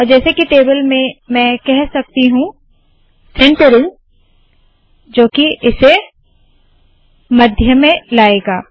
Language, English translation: Hindi, as in the table I can say centering, which will center this at the middle